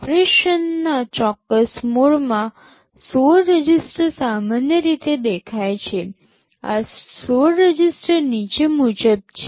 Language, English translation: Gujarati, 16 registers are typically visible in a specific mode of operation; these 16 registers are as follows